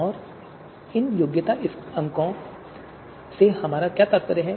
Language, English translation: Hindi, And what do we mean by these qualification scores